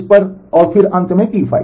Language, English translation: Hindi, So, up to this and then finally, T 5